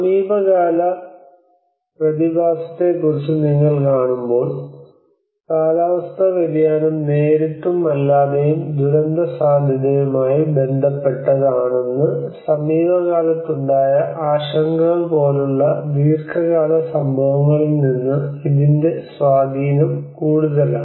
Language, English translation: Malayalam, And it has the impact is more from a long run instances like when you see about the recent phenomenon, the recent concerns they are relating that the climate change is, directly and indirectly, related to the disaster risk